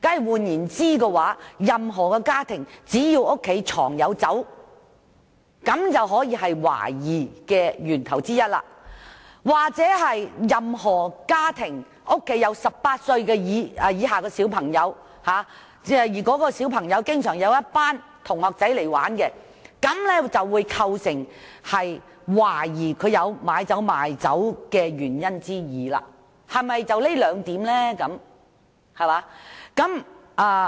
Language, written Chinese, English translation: Cantonese, 換言之，只要任何家庭藏有酒類產品，便構成懷疑理由之一；而任何家庭有18歲以下青少年，其同學又經常到其家中玩耍，便構成懷疑有酒類買賣的理由之二，是否單憑這兩點便可以？, In other words it will constitute a ground for suspicion if wine products are stored in a household; and for a family with youngsters aged below 18 it will constitute another ground for suspicion of alcohol selling activities if the classmates of these youngsters often come to visit them at their home . Would these two points be enough to constitute reasonable grounds of suspicion?